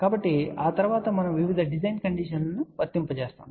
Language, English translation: Telugu, So, after that now, we apply various design condition